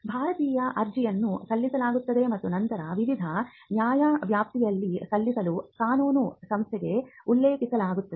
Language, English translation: Kannada, An Indian application is filed and then referred to a law firm for filing in different jurisdictions